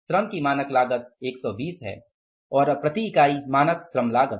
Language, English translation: Hindi, Standard cost of the labor is 20 and now the standard labor cost per unit